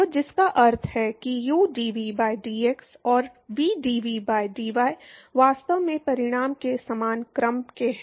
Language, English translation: Hindi, So, which means that udv by dx and vdv by dy are actually of same order of magnitude